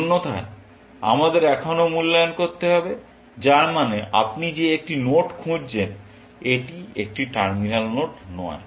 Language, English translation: Bengali, Else, we have to evaluate still then, which means you looking at a node; it is not a terminal node